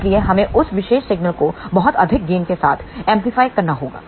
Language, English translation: Hindi, So, we have to amplify that particular signal with a very high gain